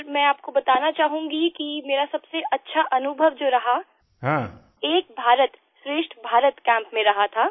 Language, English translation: Hindi, Sir, I would like to share my best experience during an 'Ek Bharat Shreshth Bharat' Camp